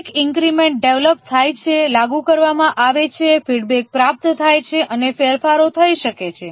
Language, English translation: Gujarati, Each increment is developed, deployed, feedback obtained and changes can happen